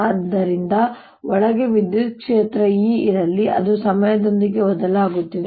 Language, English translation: Kannada, so let there be an electric field, e, inside which is changing with time